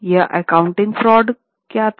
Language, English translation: Hindi, What was the accounting fraud